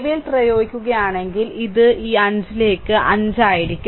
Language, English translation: Malayalam, So, if you apply KVL, then it will be 5 into i this i